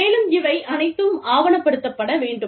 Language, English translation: Tamil, And, all of this, has to be documented